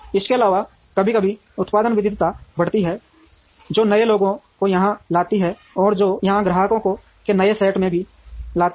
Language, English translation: Hindi, Also, there is ever increasing product variety which brings in newer people here, and which also brings in newer set of customers here